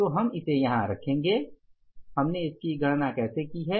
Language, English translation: Hindi, So, what is the we will put it here how we have calculated